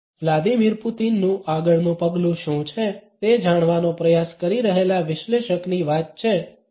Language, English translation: Gujarati, As far the analyst trying to figure out what Vladimir Putin’s next move is